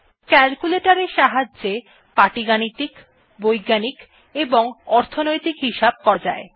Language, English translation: Bengali, Calculator helps perform arithmetic, scientific or financial calculations